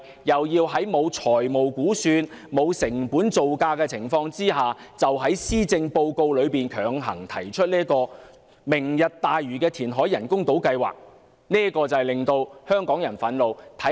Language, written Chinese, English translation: Cantonese, 如今在沒有財務估算、沒有成本造價的情況下，特首便於施政報告內強行提出"明日大嶼"人工島填海計劃，這實在令香港人感到憤怒。, Now without the provision of financial estimate and construction costs the Chief Executive pushes through the Lantau Tomorrow artificial islands reclamation programme in the Policy Address this really makes the people of Hong Kong angry